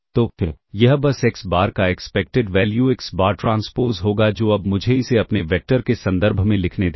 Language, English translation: Hindi, So, this will simply be expected value of xBar into xBar transpose which is now, let me write it in terms of its vector